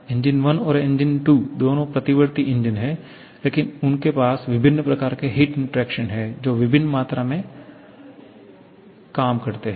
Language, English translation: Hindi, Both 1 and 2 are reversible nature but they are having different kinds of heat interaction producing different amount of work